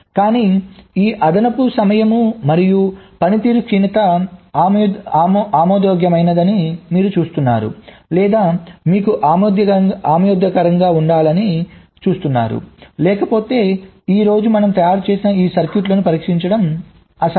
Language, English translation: Telugu, but you see, these additional time and performance degradation is acceptable or, you see, must be acceptable because, as otherwise it would be impossible to test this circuits of the type that we manufactured today